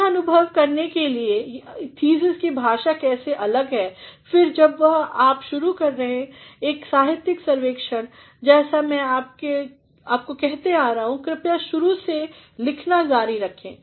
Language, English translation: Hindi, In order to have an experience of how the language of the thesis is different and then whenever you start a literature survey as I have been telling please keep writing right from the beginning